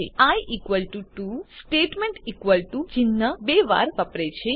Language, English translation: Gujarati, Note that i is equal to 2 statement uses the equal to sign twice